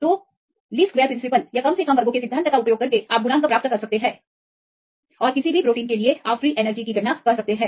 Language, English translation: Hindi, So, use the principle of least squares, you can get the coefficients and for any protein, you can calculate the free energy contributions